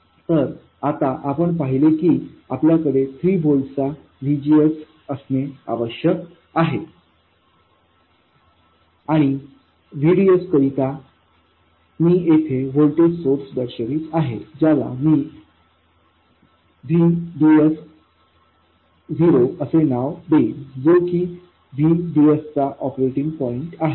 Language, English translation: Marathi, Now, we saw that we had to have a VGS of 3 volts and VDS I am showing a voltage source here, I will call it VDS 0, the VDS at the operating point